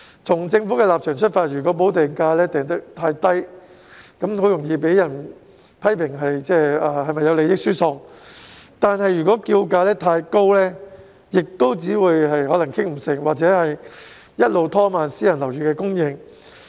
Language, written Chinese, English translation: Cantonese, 從政府的立場出發，如果補地價訂得過低，很容易被批評有利益輸送之嫌；如果訂價太高，又可能導致無法達成共識，以致拖延私人樓宇的供應。, From the Governments perspective if the premium is set too low it is susceptible to criticisms of transferring benefits; if the premium is set too high it may not be possible to reach a consensus thereby causing a delay in the supply of private housing